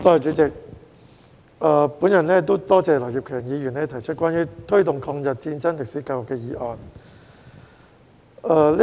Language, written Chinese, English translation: Cantonese, 我感謝劉業強議員提出"推動抗日戰爭歷史的教育"議案。, I thank Mr Kenneth LAU for proposing the motion on Promoting education on the history of War of Resistance against Japanese Aggression